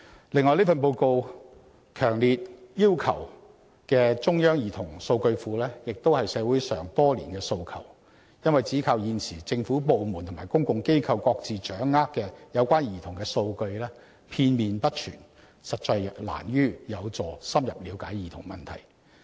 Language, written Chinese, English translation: Cantonese, 此外，這份報告強烈要求設立中央兒童數據庫，亦是社會多年來的訴求，因為現時政府部門及公共機構各自掌握有關兒童的數據片面不全，實難有助深入了解兒童問題。, Moreover the report strongly calls for the establishment of a central database for children which has also been a request in society over the years for the reason that currently government departments and public organizations each hold fragmentary and incomplete data of children rendering in - depth understanding of children issues difficult